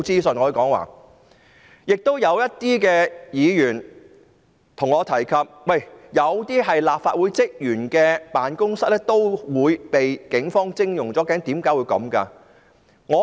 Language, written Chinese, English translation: Cantonese, 此外，部分議員向我提及，有些立法會職員的辦公室也被警方徵用。, Besides some Members mentioned to me that some offices of the Secretariat staff were also taken over by the Police